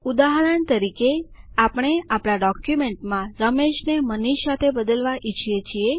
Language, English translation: Gujarati, For example we want to replace Ramesh with MANISH in our document